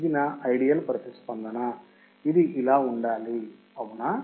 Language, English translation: Telugu, This is my ideal response, it should look like this right